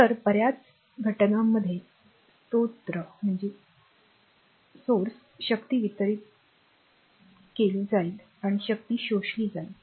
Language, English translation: Marathi, So, sources many cases power will be delivered and power will be absorbed